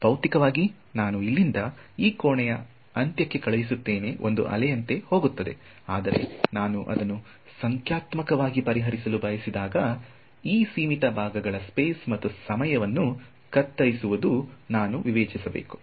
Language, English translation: Kannada, So, physically I send away from here to the end of this room it goes like a wave, but when I want to solve it numerically I have to discretize chop up space and time of this finite segments